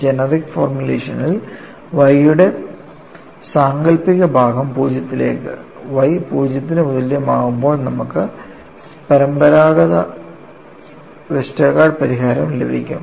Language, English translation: Malayalam, In the generic formulation, if you take the imaginary part of Y to 0, on y equal to 0, then you get the conventional Westergaard solution